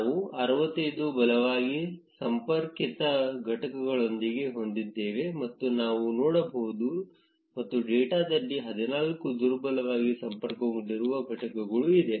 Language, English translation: Kannada, We can see that we have 65 strongly connected components; and 14 weakly connected components in a data